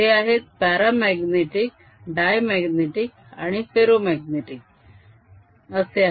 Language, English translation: Marathi, these are paramagnetic, diamagnetic and ferromagnetic